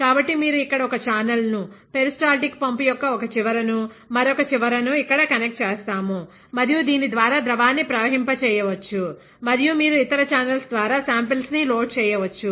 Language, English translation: Telugu, So, you connect one channel, one end of the peristaltic pump here, other end here; and you can flow a liquid through this and you can load samples through other channels